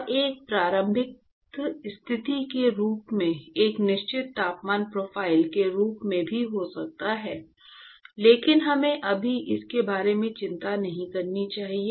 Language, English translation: Hindi, And one could even as a certain temperature profile as an initial condition, but let us not worry about that right now